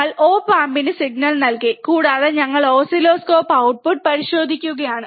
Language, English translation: Malayalam, And we have given the signal to the op amp, and we are just checking the output on the oscilloscope